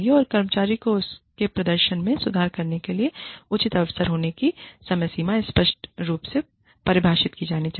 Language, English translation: Hindi, And, the timelines should be clearly defined, for the employee, to have a fair chance, at improving her or his performance